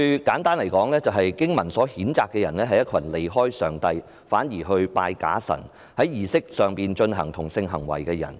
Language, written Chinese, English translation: Cantonese, 簡單來說，經文譴責的人，是一群離開上帝反而敬拜假神，並在儀式中進行同性性行為的人。, In simple terms these verses are condemning people who left God to worship the fake gods and engaged in sexual intercourse with people of the same sex during the ceremony